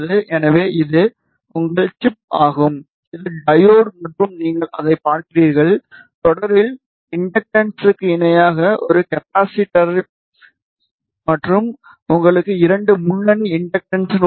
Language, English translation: Tamil, So, this is your chip which is diode and you see that the inductance in series a capacitance in parallel and you have two lead inductances